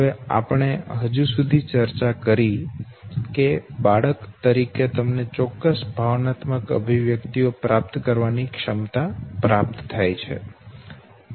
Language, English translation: Gujarati, Now what we have discussed till now is that as an infant you grow, as an infant you are endowed with certain capacity to acquire certain emotional expressions